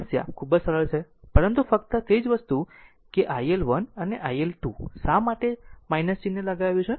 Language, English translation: Gujarati, Problem is very simple, but only thing that iL1 and iL2 why minus sign